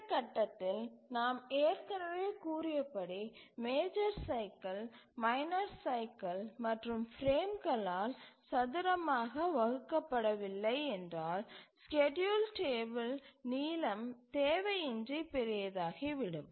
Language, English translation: Tamil, So, this point we had already said that unless the major cycle is squarely divided by the minor cycle or the frame, then the schedule table length would become unnecessary large